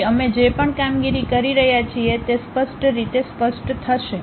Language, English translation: Gujarati, So, whatever the operations we are doing it will be pretty clear